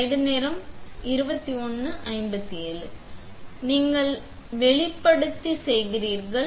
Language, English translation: Tamil, So, you press expose and when you do exposure again